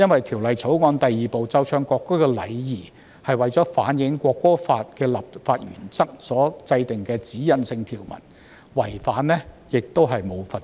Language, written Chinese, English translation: Cantonese, 《條例草案》第2部奏唱國歌的禮儀是為了反映《國歌法》的立法原則而制定的指引性條文，違反條文並沒有罰則。, Part 2 of the Bill―Etiquette for playing and singing the national anthem contains a directional provision to reflect the legislative principles of the National Anthem Law and carries no penalty